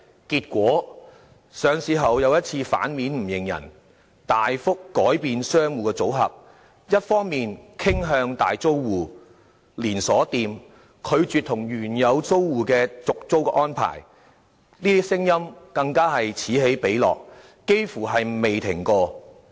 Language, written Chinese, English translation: Cantonese, 結果，領匯上市後再次"反面不認人"，大幅改變商戶的組合，一面倒傾向大租戶、連鎖店，拒絕與原有租戶續租的事件，更是此起彼落，幾乎未曾停止。, Consequently The Link REIT once again broke its words and significantly altered the combination of tenants to favour primarily major tenants and chain stores . Refusals to renew original tenants lease have become rampant and almost never - ending